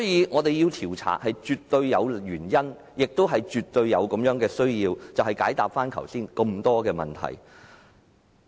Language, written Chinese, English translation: Cantonese, 我們絕對有原因、絕對有需要展開調查，以解答剛才提及的種種問題。, We have every reason and need to conduct an investigation so as to answer all the questions raised just now